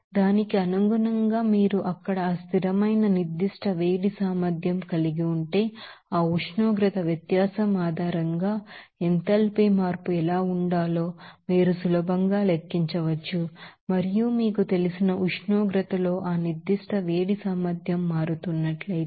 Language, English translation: Telugu, So, accordingly if you are having that constant specific heat capacity there you can easily calculate what should be the enthalpy change on the based on that temperature difference and if you are having that specific heat capacity changing with you know temperature